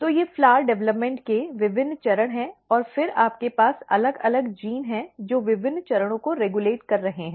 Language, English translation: Hindi, So, these are different stages of the flower development and then you have different genes which are regulating different stages